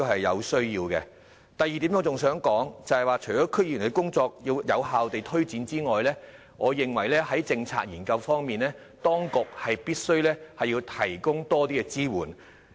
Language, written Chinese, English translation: Cantonese, 我想說的第二點是，除了要有效推展區議員的工作外，我認為在政策研究方面，當局必須提供更多支援。, Another point I would like to make is apart from effectively promoting the work of DC members I think the authorities must provide more support for policy research